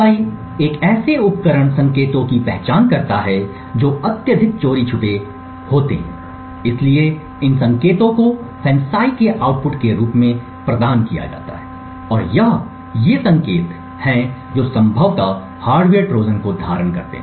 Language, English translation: Hindi, FANCI identifies signals in a device which are highly stealthy, so these signals are provided as the output of FANCI and it is these signals which should potentially hold a hardware Trojan